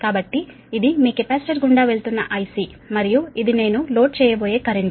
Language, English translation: Telugu, so this is the i c, that is current going to your capacitor and this is the current i going to the load, right